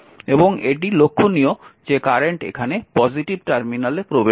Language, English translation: Bengali, So, this is ah this current is entering because positive terminal